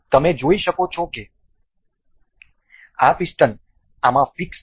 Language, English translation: Gujarati, So, you can see that this piston has been fixed in this